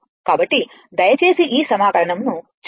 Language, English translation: Telugu, So, please do this integration of your own